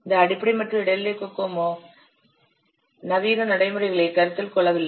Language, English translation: Tamil, So this basic and intermediate cocoa, they do not consider these modern practices